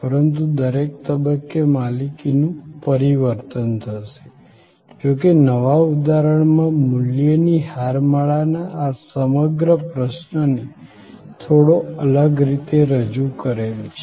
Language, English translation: Gujarati, But, at every stage there will be a change of ownership, the new paradigm however looks at this whole issue of value chain a little differently